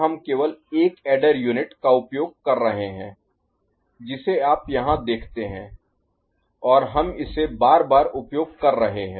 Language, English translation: Hindi, Here we are using only one adder unit the one that you see here right and we are using it successively